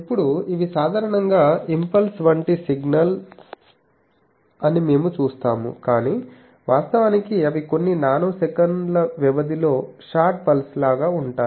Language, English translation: Telugu, Now, we see that these are typically impulse like signals, but actually they are short pulses of duration few nanoseconds